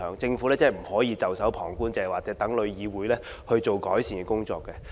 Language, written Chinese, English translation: Cantonese, 政府不可以袖手旁觀，只說待旅議會進行改善工作。, The Government cannot just watch from the sideline awaiting TICs improvement measures